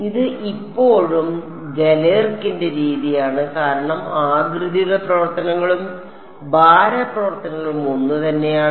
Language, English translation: Malayalam, This is still Galerkin’s method because the shape functions and the weight functions are the same